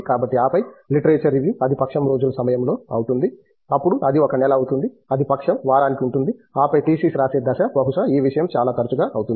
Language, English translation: Telugu, So, at your literature review it would become fortnightly, then it would become to a month then it would be fortnightly to a week and then the thesis writing stage perhaps the thing would become much much more frequent